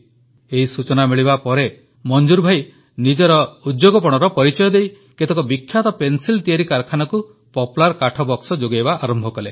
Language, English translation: Odia, After getting this information, Manzoor bhai channeled his entrepreneurial spirit and started the supply of Poplar wooden boxes to some famous pencil manufacturing units